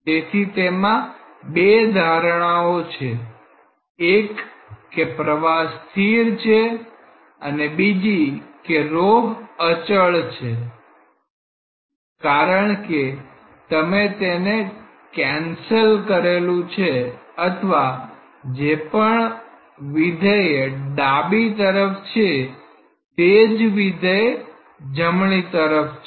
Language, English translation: Gujarati, So, it has two assumptions; one is the steady flow another is rho is a constant because, you have cancelled or maybe whatever function of low is there in the left hand side same function is there in the right hand side